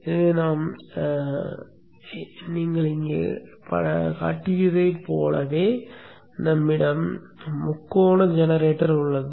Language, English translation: Tamil, So we have a triangle generator just like what we are shown here